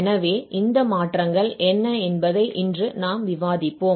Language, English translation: Tamil, So, today we will discuss what are these transforms